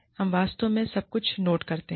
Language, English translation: Hindi, We actually note down, everything